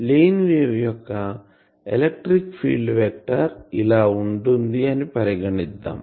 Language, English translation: Telugu, Suppose a plane wave generally what we say that the plane wave electric field vector is something like this